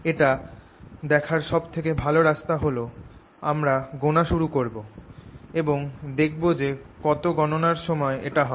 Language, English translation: Bengali, best way to see that is: i'll start counting and you will see how many counts it takes